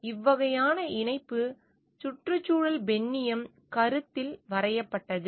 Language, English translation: Tamil, So, this type of connection is drawn in ecofeminism concept